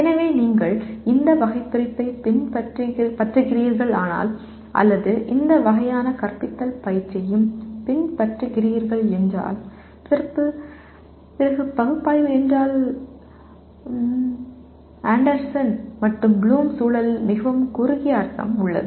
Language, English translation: Tamil, So if you are following this taxonomy or as well as this kind of pedagogical training, then Analyze means/ has a very much narrower meaning in the context of Anderson and Bloom